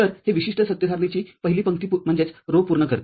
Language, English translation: Marathi, So, this completes the first row of this particular truth table